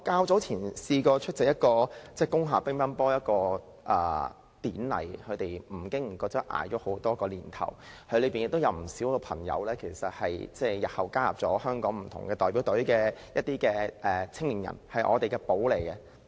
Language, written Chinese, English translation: Cantonese, 早前，我出席了一個在工廈舉行的乒乓球典禮，他們不經不覺熬過了多個年頭，當中有不少青年人後來加入了香港不同的代表隊，他們是我們的寶藏。, I attended a table tennis ceremony held in an industrial building earlier . They have been operating there for a few years . Many of the young players have later joined different Hong Kong teams